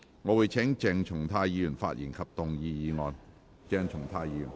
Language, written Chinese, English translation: Cantonese, 我請鄭松泰議員發言及動議議案。, I call upon Dr CHENG Chung - tai to speak and move the motion